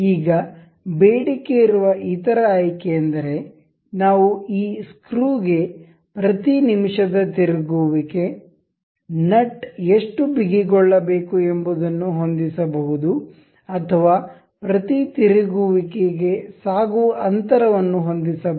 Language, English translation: Kannada, Now, this other option that it demands is we can set the revolution per minute for this screw this nut to be tightened or also we can enter this distance per revolution